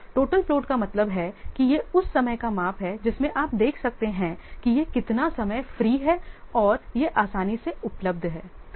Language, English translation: Hindi, Total float means it is a measure of that time that you can see that how much time it is free and that is freely available